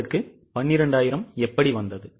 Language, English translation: Tamil, How did you get 12,000